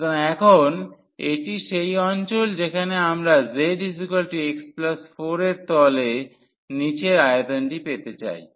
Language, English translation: Bengali, So, now this is the region where we want to get the volume below the z is equal to x plus 4 plane